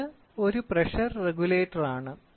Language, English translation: Malayalam, So, this is a pressure regulator